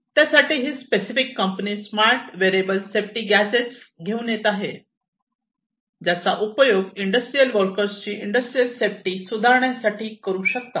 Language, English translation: Marathi, So, this particular company is working on coming up with smart wearable safety gadgets, which can be used by the industrial workers to improve upon the industrial safety